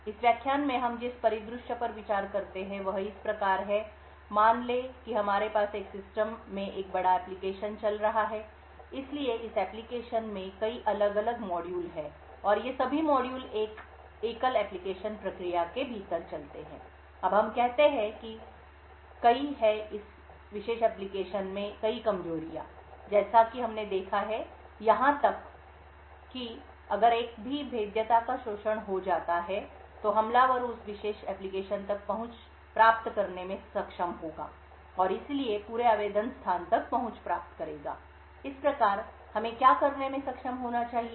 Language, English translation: Hindi, The scenario we consider in this lecture is as follows, let us say we have a large application running in a system so this application has several different models and all of these modules runs within a single application process, now let us say that there are several vulnerabilities in this particular application as we have seen therefore even if a single vulnerability gets exploited then the attacker would be able to get access to that particular application and therefore will gain access to the entire application space, thus what we need is to be able to design such an application so that even if the vulnerabilities are present in the application, the attacker will have limited amount of information that can be obtained from that exploited vulnerability